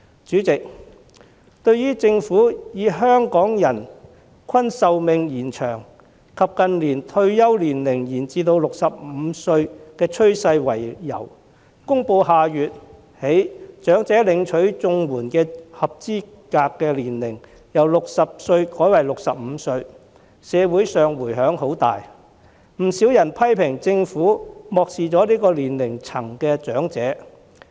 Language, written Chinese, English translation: Cantonese, 主席，對於政府以香港人均壽命延長及近年退休年齡延至65歲的趨勢為由，公布下月起把領取長者綜援的合資格年齡由60歲改為65歲，社會上迴響很大，不少人批評政府漠視此年齡層的長者。, President the Governments announcement of changing the eligibility age for elderly CSSA from 60 to 65 starting from the next month citing prolonged life expectancy in Hong Kong and the trend of extension of retirement age to 65 in recent years as reasons has induced reverberations in society . Many people have criticized the Government of ignoring elderly persons in this age group